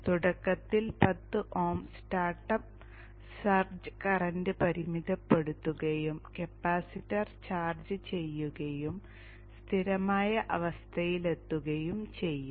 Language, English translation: Malayalam, So initially the 10 oms will limit the startup search current and the capacitor will get charged and reach a steady state